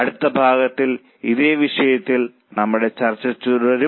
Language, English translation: Malayalam, In our next session, we will continue our discussion on the same topic